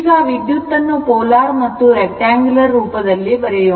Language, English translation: Kannada, So now, expressing the current in rectangular or polar form right